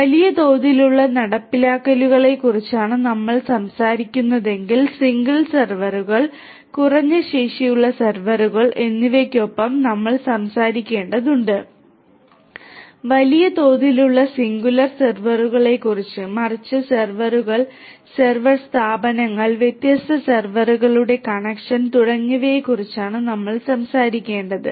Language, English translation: Malayalam, And if we are talking about large scale implementations we have to talk beyond single servers, low capacity servers, we have to talk about large scale not singular servers, but servers server firms, connection of different servers and so on